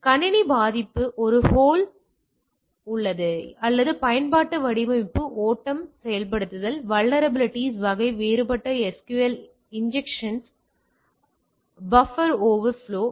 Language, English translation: Tamil, So, system vulnerability is in a hole or weakness in the application design flow implementation vulnerability type can be different SQL injection, buffer overflow